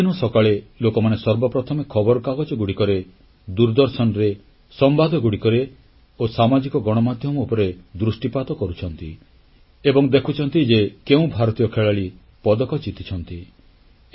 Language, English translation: Odia, Every morning, first of all, people look for newspapers, Television, News and Social Media to check Indian playerswinning medals